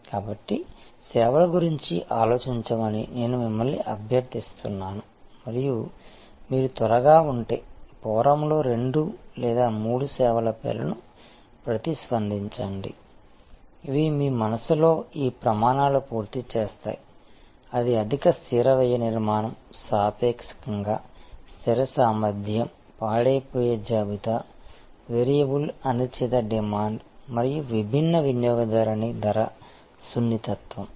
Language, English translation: Telugu, So, I would request you to think about such services and if you are quick, then respond in the forum giving names of two or three services, which in your mind full fill these criteria; that is high fixed cost structure, relatively fixed capacity, perishable inventory, variable uncertain demand and varying customer price sensitivity